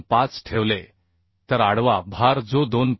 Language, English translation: Marathi, 25 the transverse load that is 2